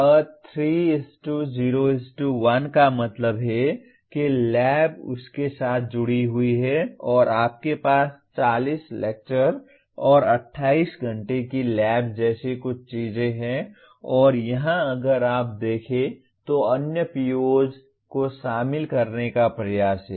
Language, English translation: Hindi, A 3:0:1 that means lab is associated with that and you have something like 40 lectures and 28 hours of lab and here if you look at there is an attempt to include other POs